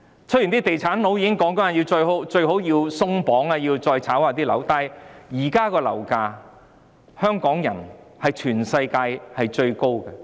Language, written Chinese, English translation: Cantonese, 雖然地產商都說最好要"鬆綁"，要把樓市再"炒"一下，但香港現時的樓價已是全世界最高。, All real estate developers say that restrictions should be relaxed to fuel property speculation but property prices in Hong Kong are already the worlds highest